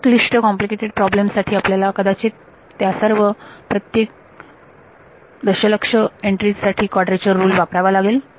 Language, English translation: Marathi, So, in more complicated problems you may have to use a quadrature rule for each of these million entries right